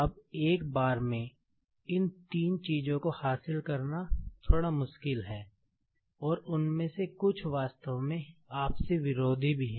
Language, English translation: Hindi, Now, it is bit difficult to achieve all these three things at a time, and some of them are actually conflicting